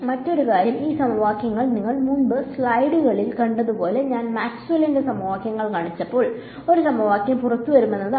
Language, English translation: Malayalam, Another thing is that when these equations are coupled as you saw in the slides before when I showed you Maxwell’s equations when I have coupled equations the equation of a wave comes out